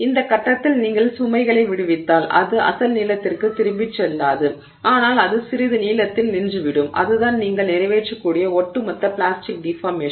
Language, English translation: Tamil, And at which point if you release the load, it will not go back to its original length but it will stop at some length and that is the overall plastic deformation that you have accomplished